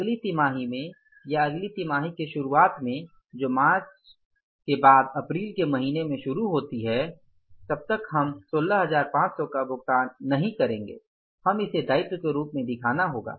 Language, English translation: Hindi, The first month in the next quarter so till the time we make this payment of 16,500s we will have to show it as a liability